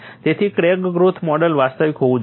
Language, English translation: Gujarati, So, the crack growth model has to be realistic